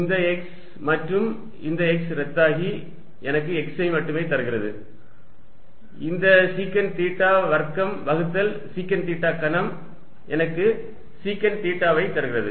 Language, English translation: Tamil, I am going to cancel some terms, this x and this x cancels with this and gives me x only, this secant square theta divided by sec cube theta gives me secant theta which becomes cosine theta on top